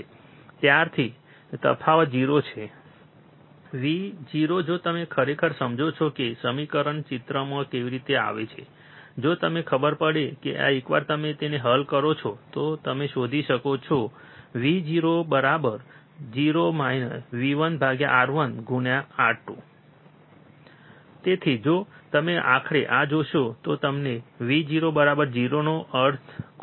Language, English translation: Gujarati, Since, the difference is 0, the Vo if you if you really go on understanding how the equation comes into picture, if you find out that once you solve this you can find Vo equals to 0 minus V 1 by R 1 into R 2